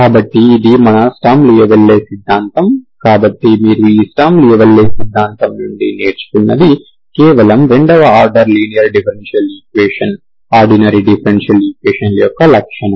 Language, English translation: Telugu, So this is our sturm louisville theory, so what you will learn from this sturm louisville theory is it is just the property of second order linear differential equation, okay, ordinary differential equation